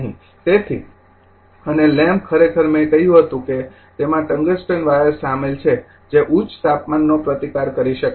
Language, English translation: Gujarati, So, and the lamp actually I told you it contains tungsten wire it can withstand high temperature